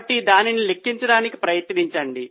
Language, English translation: Telugu, So, try to calculate it